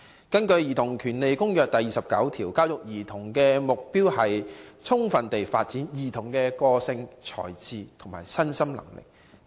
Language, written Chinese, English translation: Cantonese, 根據《兒童權利公約》第29條所述，"教育兒童的目的應是：最充分地發展兒童的個性、才智和身心能力。, According to Article 29 of the United Nations Convention on the Rights of the Child the education of the child shall be directed to the development of the childs personality talents and mental and physical abilities to their fullest potential